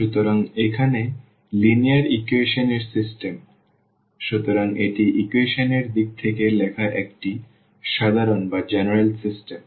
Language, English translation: Bengali, So, here the system of linear equations; so, this is a general system written in terms of the equations